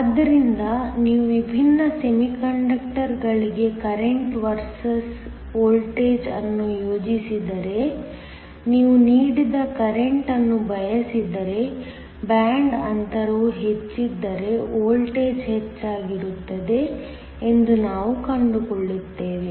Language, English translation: Kannada, So, if you were to plot the current versus voltage for different semiconductors, we find that if you want a given current, the voltage will be higher if the band gap is higher